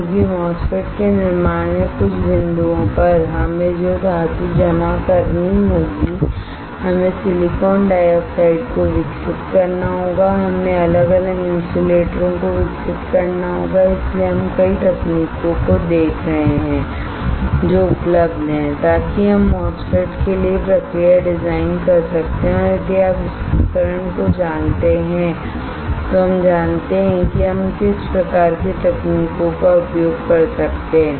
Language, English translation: Hindi, Because at certain point in fabrication fabricating MOSFET we will we have to deposit metal we have to grow silicon dioxide we have to grow different insulators and that is why we are looking at several techniques that are available that we can design the process for MOSFET and if you know this equipment then we know what kind of recipes we can use it alright